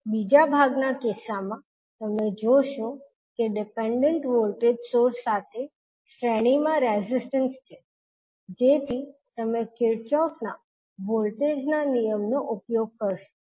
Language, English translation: Gujarati, In case of second part you will see that the resistances in series with dependent voltage source so you will use Kirchhoff’s voltage law